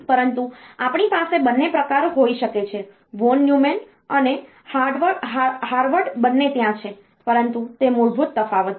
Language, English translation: Gujarati, But, we can have both the types; both von Neumann and Harvard are there, but that is the basic difference